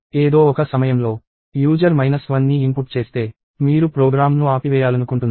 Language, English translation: Telugu, At some point of time, if the user inputs minus 1, you want to stop the program